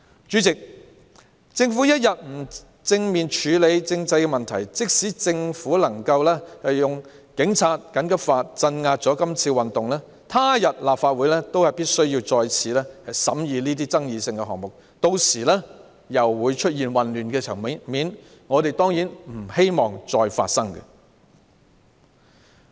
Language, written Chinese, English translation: Cantonese, 主席，政府不肯正面處理政制問題，即使政府能夠用警察及緊急法來鎮壓這次運動，他日立法會仍須再次審議這些具爭議性的事項，屆時又會出現混亂場面，我們當然不希望這種情況再次發生。, President the Government is not willing to directly address the problems concerning the political system . Even if the Government can suppress this movement by the Police and the emergency laws the Legislative Council will have to consider these controversial issues again in future and chaos will arise again . We definitely do not want this situation to happen again